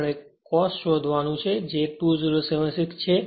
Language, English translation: Gujarati, We have to find out cos and is equal to 2076